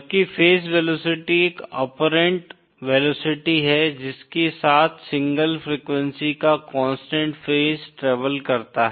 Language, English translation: Hindi, Whereas phase velocity is the apparent velocity with which the constant phase of a single frequency travels